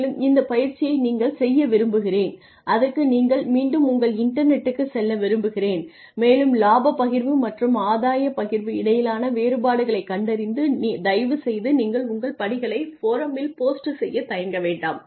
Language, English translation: Tamil, And I would like you to do this exercise I want you to go back to your internet and I want you to figure out the differences between profit sharing and gain sharing and please feel free to post your responses on the forum